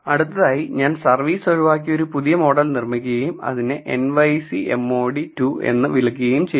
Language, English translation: Malayalam, So, I have dropped service and I have built a new model and I am calling it nyc mod underscore 2